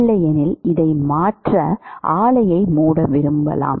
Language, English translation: Tamil, Otherwise you do not want to shut the plant to change this